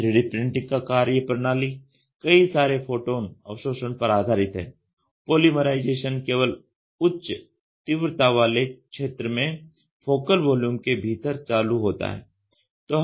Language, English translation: Hindi, The 3D printing workflow is based on multiple photon absorption, polymerization is only triggered in the high intensity region within the focal volume